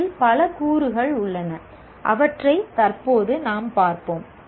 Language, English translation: Tamil, There are several elements in this we will presently see